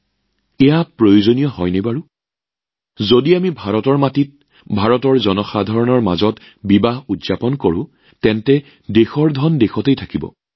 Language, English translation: Assamese, If we celebrate the festivities of marriages on Indian soil, amid the people of India, the country's money will remain in the country